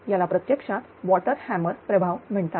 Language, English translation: Marathi, So, it is called actually water hammer effect right